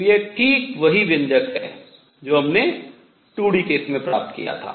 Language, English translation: Hindi, So, this is exactly the same expression that we had obtained in 2 d case